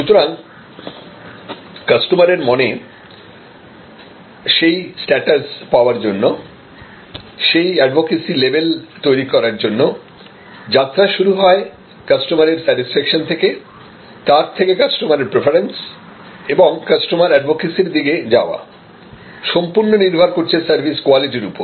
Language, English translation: Bengali, And the journey to win that status in customers mind, the journey to win that advocacy level going from the level of customer satisfaction, to customer preference, to customer advocacy depends on the journey starts with service quality